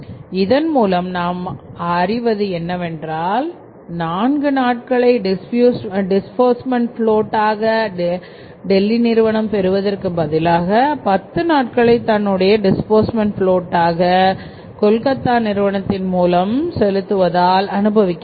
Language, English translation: Tamil, So it means rather than having the disbursement float of 4 days if the payment is made from Delhi the company is enjoying a float of 10 days by making the payment from Calcutta